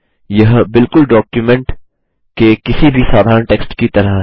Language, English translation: Hindi, It is just like any normal text in the document